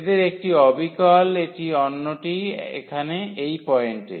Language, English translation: Bengali, So, one is precisely this one, the other one at this point here